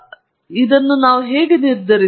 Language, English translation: Kannada, So, how do we go about determining it